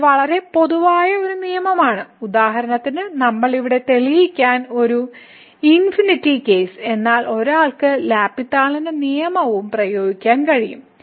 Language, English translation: Malayalam, So, this is a very general rule which we are not proving here for example, this infinity case, but one can apply the L’Hospital’s rule their too